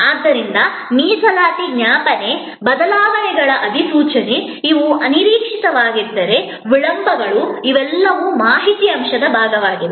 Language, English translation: Kannada, So, reservation reminder, notification of changes, if there are these unforeseen delays, these are all part of the information element